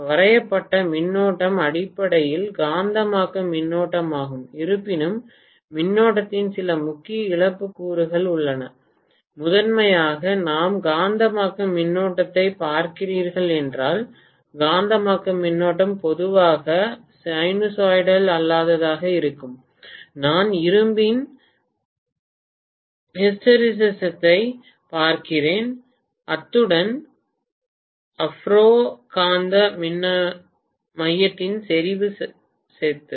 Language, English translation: Tamil, The current that is being drawn is basically the magnetizing current, although there is some core loss component of current primarily if we are looking at magnetizing current the magnetizing current is going to be normally non sinusoidal if I am looking at the hysteresis property of iron as well as saturation property of the ferromagnetic core